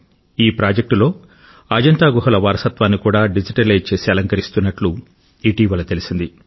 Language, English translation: Telugu, Just recently,we have received information that the heritage of Ajanta caves is also being digitized and preserved in this project